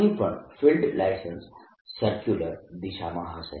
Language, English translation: Gujarati, after all, field goes in a circular line